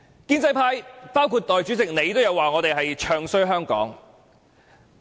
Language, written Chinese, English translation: Cantonese, 建制派包括代理主席說我們"唱衰"香港。, Pro - establishment Members including Deputy President said we are bad - mouthing Hong Kong